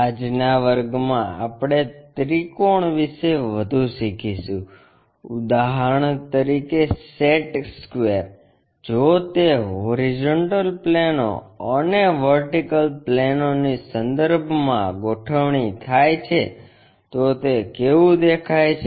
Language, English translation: Gujarati, In today's class we will learn more about triangles for example, a set square if it is reoriented with horizontal planes and vertical planes, how do they really look like